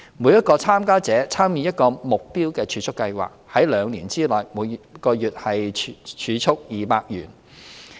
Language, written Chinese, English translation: Cantonese, 每名參加者會參與一個目標儲蓄計劃，在兩年內每月儲蓄200元。, Each participant will join a targeted savings programme to save 200 per month over a two - year period